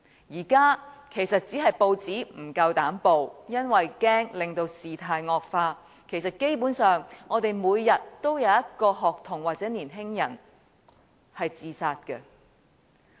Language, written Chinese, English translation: Cantonese, 現在其實只是報章不敢報道，恐怕令事態惡化，但其實基本上每天也有一名學童或年青人自殺。, It is only that newspapers dare not carry such reports for fear that the developments will worsen but actually suicides by students or young men almost happen on the day